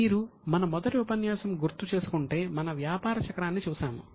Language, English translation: Telugu, If you remember in our session one, we have seen the business cycle